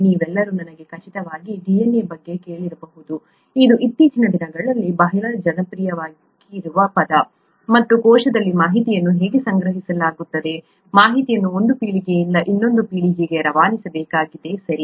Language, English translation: Kannada, All of you, I’m sure, would have heard of DNA, it’s a very popular term nowadays and that’s how information is stored in the cell, the information that needs to passed on from one generation to another generation, okay